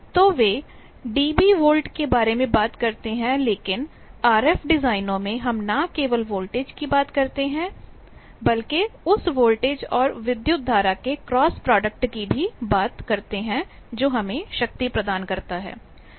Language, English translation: Hindi, So, dB volt is the one that they talk of, but in RF designs we talk of power not only voltage, but the cross product of that voltage and current that gives us the power